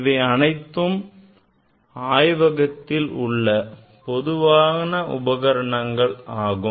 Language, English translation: Tamil, These are the very common components in the laboratory